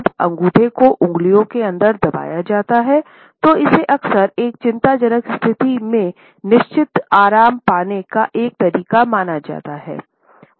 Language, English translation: Hindi, When a thumb has been tucked inside the fingers, it is often considered a way to find certain comfort in an otherwise anxious situation